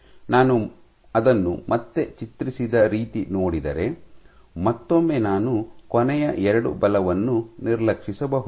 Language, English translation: Kannada, So, the way I have drawn it again, once again I can disregard the last 2 forces